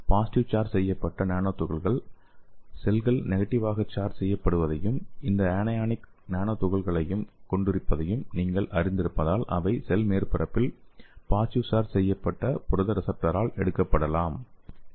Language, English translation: Tamil, So the positively charged nano particles can easily attach to the cells as you know that cells have the negatively charge and this anionic nano particles so that can be taken up by the positively charged protein receptor on the cell surface